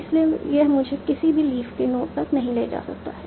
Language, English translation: Hindi, So it cannot take me to any leaf note